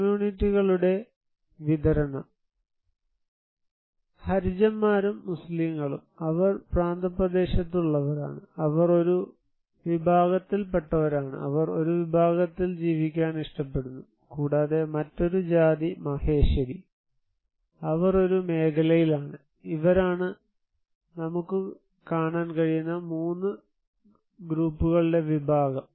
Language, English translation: Malayalam, A distribution of communities; you can see that the Harijans and Muslims, they are on the outskirt one side is a very segmented community, they prefer to live in one segments and also, the other caste that is Maheshari, they are in one sector they are, so they are 3 groups category you can see